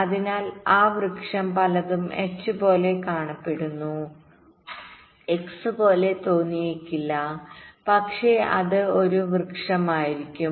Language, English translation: Malayalam, many look like h, may not look like x, but it will be a tree nevertheless